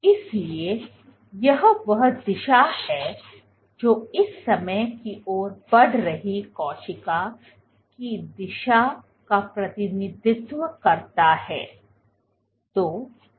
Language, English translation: Hindi, So, this is the direction this represents roughly this represents the direction the cell is moving at this point of time